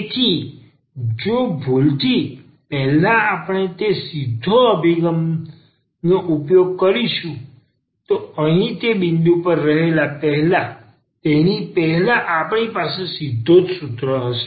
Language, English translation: Gujarati, So, if by mistake, before we go to that point here using that direct approach which we have written down before that we have a direct formula as well